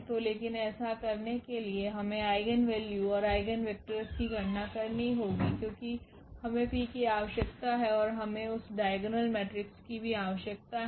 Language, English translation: Hindi, So, but to do so, we have to compute the eigenvalues and also the eigenvectors, because we need that P and we also need that diagonal matrix